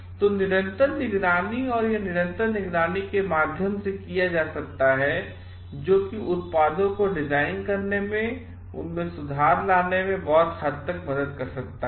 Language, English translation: Hindi, So, constant monitoring and this can be done through constant monitoring which can help to great deal in carrying out further improvements in designing the products